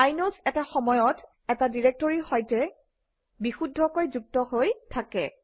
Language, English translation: Assamese, Inodes are associated with precisely one directory at a time